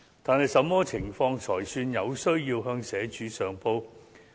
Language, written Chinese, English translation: Cantonese, 但是，甚麼情況才算"有需要"向社署上報？, However under what circumstances should the case be reported to SWD?